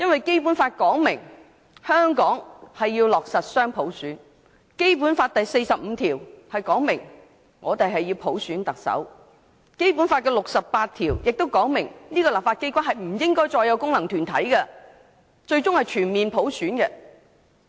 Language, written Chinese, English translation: Cantonese, 《基本法》訂明，香港要落實雙普選，《基本法》第四十五條訂明，香港行政長官由普選產生，第六十八條也訂明立法機關不應再有功能界別，最終要達致全面普選。, The Basic Law provides that Hong Kong shall implement dual universal suffrage . Article 45 of the Basic Law provides that the Chief Executive of Hong Kong shall be selected by universal suffrage; Article 68 also provides that there shall no longer be functional constituencies in the legislature and the ultimate aim is the election of all its members by full universal suffrage